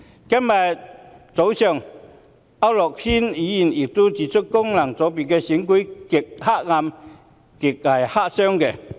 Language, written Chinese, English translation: Cantonese, 今天早上，區諾軒議員亦批評，功能界別選舉"極黑暗"、"極黑箱"。, This morning Mr AU Nok - hin also criticized the FC elections as extremely dark utter black - box operations